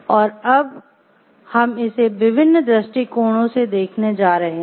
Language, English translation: Hindi, And we are going to visit it from different perspectives